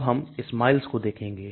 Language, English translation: Hindi, Now let us look this SMILES